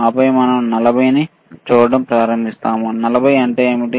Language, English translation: Telugu, And then we start looking at 40 so, what is 40